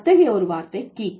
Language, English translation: Tamil, One such word is geek